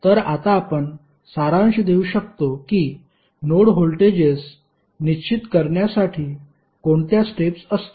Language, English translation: Marathi, So, now you can summarize that what would be the steps to determine the node voltages